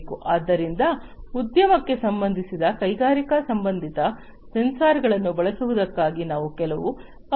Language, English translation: Kannada, So, these are some of these requirements for industry related, you know, industrial related sensors being used